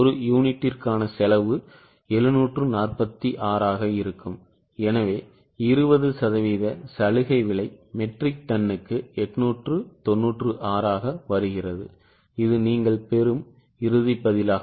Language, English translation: Tamil, Cost per unit will be 746 and so concessional price which is 20% comes to 896 per metric term, this is the final answer